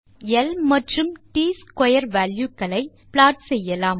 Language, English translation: Tamil, We shall be plotting L and T square values